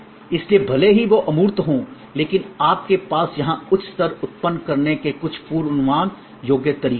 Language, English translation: Hindi, So, that even though they are intangible you have some predictable way of generating a higher level here